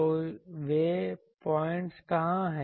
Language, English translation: Hindi, So, where are those points